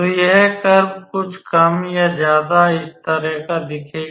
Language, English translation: Hindi, So, this curve would more or less will look like something of this type